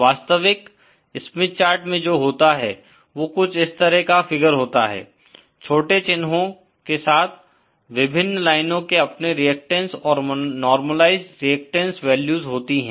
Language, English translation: Hindi, What you have in a real Smith chart is a figure like this with small markings, the various lines have their own reactances, normalised reactance values